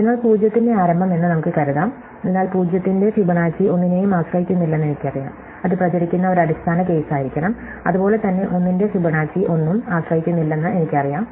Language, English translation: Malayalam, So, let us assume I start with 0’s, so I know that Fibonacci of 0 depends on nothing, it must be a base case so I fill it in, likewise I know that Fibonacci of 1 depends on nothing